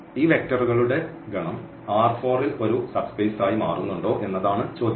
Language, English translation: Malayalam, And the question is whether this V forms a vector space